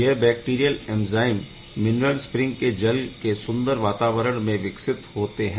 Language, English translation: Hindi, The these bacterial are grown in this nice atmosphere; in this mineral spring in the spring water